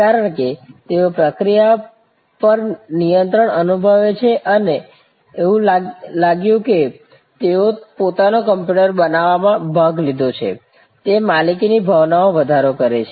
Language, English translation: Gujarati, Because, they felt in control of the process, the felt that they have participated in creating their own computer, it enhanced the sense of ownership